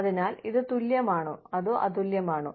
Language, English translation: Malayalam, So, is it equal, or, is it equitable